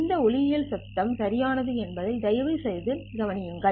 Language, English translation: Tamil, Please note that this is also optical noise, right